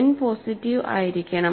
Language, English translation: Malayalam, So, n has to be positive